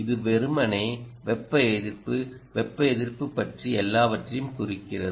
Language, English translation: Tamil, it simply means everything about thermal resistance